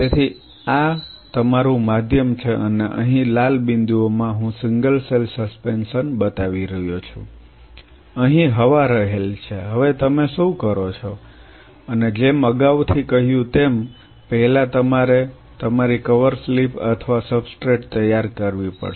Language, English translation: Gujarati, So, this is your medium and here in red dots I am showing the single cell suspensions here the air sitting, now what you do you take these and beforehand having said this beforehand you have to prepared your cover slips or substrate